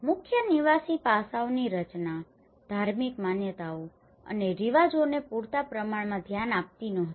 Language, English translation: Gujarati, The design of the core dwelling aspects were not sufficiently address the religious beliefs and customs